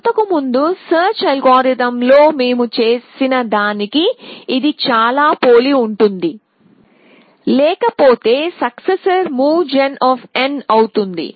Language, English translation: Telugu, So, all that it is very similar to what we did in earlier search algorithm, else successors is the move gen of n